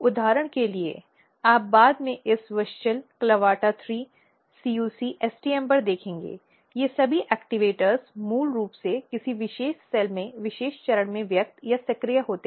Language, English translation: Hindi, For example, you will see later on this WUSCHEL, CLAVATA 3, CUC, STM all these activators are basically expressed or activated at particular stage in a particular cell